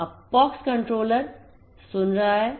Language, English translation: Hindi, Now, the POX controller is listening